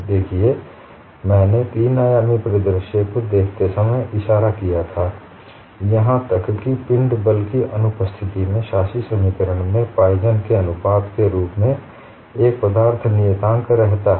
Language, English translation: Hindi, See I had pointed out when we looked at a three dimensional scenario, even in the absence of body forces, the governing equation had a material constant appearing in the form of Poisson's ratio